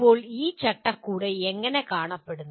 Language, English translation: Malayalam, Now how does this framework look like